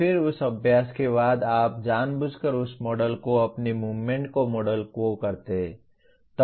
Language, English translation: Hindi, Then after that practice, you deliberately model that model your movements